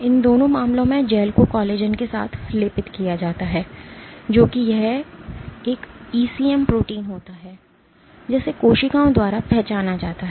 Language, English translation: Hindi, In both these cases the gels are coated with collagen one which this is a one ECM protein which is recognized by the cells